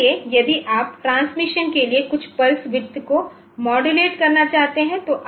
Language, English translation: Hindi, So, if you want to modulate some pulse width for transmission